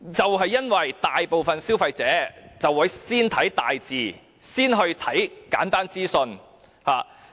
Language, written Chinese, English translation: Cantonese, 原因是大部分消費者都會先閱讀大型字體及簡單資訊。, This is because most consumers will read the large prints and simple information first